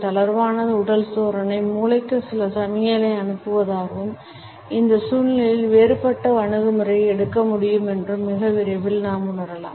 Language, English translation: Tamil, And very soon we may feel that the relaxed body posture would also be sending certain signals to the brain and a different approach can be taken up in this situation